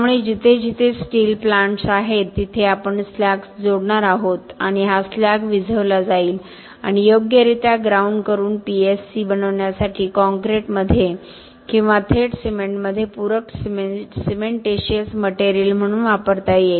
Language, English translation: Marathi, So, wherever we have steel plants we are going to add slag and this slag is quenched and ground properly can be used as a supplementary cementitious material in concrete or directly in the cement to make PSC